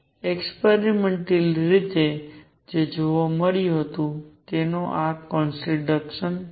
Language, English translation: Gujarati, This is contradiction to what was observed experimentally